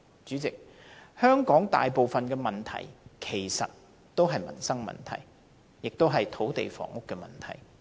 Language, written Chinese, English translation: Cantonese, 主席，香港大部分問題其實是民生問題，也是土地房屋問題。, President most of the problems in Hong Kong are indeed problems related to the peoples livelihood as well as land and housing problems